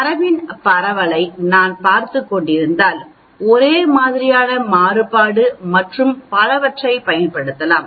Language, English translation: Tamil, If I am looking at spread of the data I can use something called Homogeneity of variance and so on